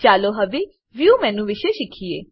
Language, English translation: Gujarati, Let us now learn about the View menu